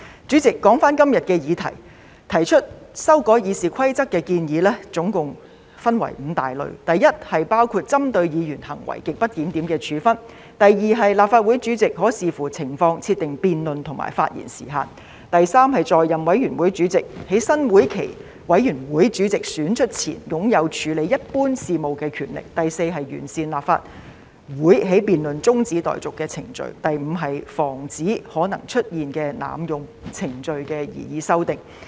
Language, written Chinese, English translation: Cantonese, 主席，說回今天的議題，提出修改《議事規則》的建議總共分為5類：第一，是包括針對議員行為極不檢點的處分；第二，是立法會主席可視乎情況，設定辯論和發言時限；第三，是在任委員會主席在新會期的委員會主席選出前，擁有處理一般事務的權力；第四，是完善立法會的辯論中止待續程序；及第五，是防止可能出現的濫用程序的擬議修訂。, President coming back to the subject today the proposed amendments to RoP can be classified into five categories first sanction against grossly disorderly conduct of Members; second specifying time limits on debates in Council and adjusting the length of Members speeches by the President according to the situation; third powers of the committee chairman in office to deal with normal business prior to the election of the committee chairman for a new session; fourth fine - tuning the procedure for the adjournment of debate in the Council; and fifth proposed amendments to prevent possible abuse of procedures